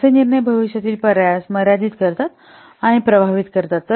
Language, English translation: Marathi, So such decisions will limit or affect the future options